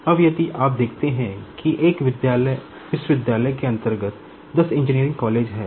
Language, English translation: Hindi, Now, if you see that under one university there are 10 engineering colleges